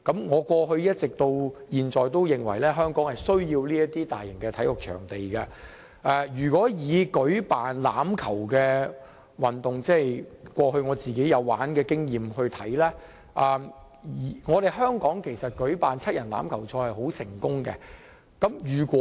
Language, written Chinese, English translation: Cantonese, 我過去至今也認為香港需要這些大型體育場地，以舉辦欖球運動為例，因為我過去有參與這項運動，香港舉辦七人欖球賽是很成功的。, I all along think that we need such a large - scale sports venue in Hong Kong to host sports events like rugby . I say so because I used to play rugby and the Rugby Seven is a very successful sports event in Hong Kong